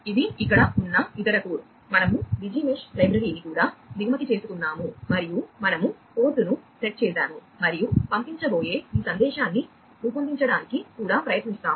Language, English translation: Telugu, this is the other code here, also we have imported the Digi Mesh library and we have set the port etcetera etcetera and also we try to you know form this message that is going to be sent